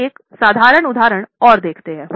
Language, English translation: Hindi, We will take a look at a simple example